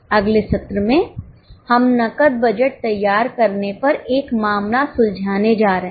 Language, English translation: Hindi, In the next session we are going to solve a case on preparation of cash budget